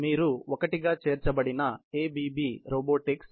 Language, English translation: Telugu, You can see a ABB robotics incorporated